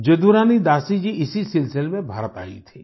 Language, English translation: Hindi, Jadurani Dasi ji had come to India in this very connection